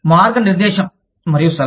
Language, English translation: Telugu, Guide and advise